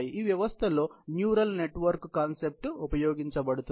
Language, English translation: Telugu, In this system, the neural network concept is used